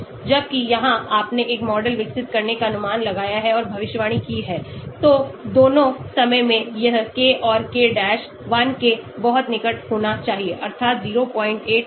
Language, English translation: Hindi, Whereas here you have observed and predicted developing a model so in both the times this k and k dash should be very close to 1, ie between 0